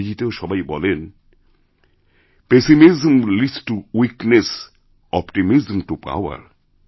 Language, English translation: Bengali, In English too, it is said, 'Pessimism leads to weakness, optimism to power'